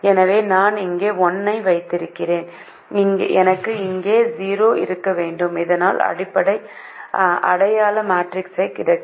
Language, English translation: Tamil, so i should have one here and i should have zero here, so that i get the identity matrix under